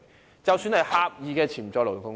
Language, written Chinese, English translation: Cantonese, 現在便看看狹義的潛在勞動力。, Now let us look at the potential labour force in a narrower sense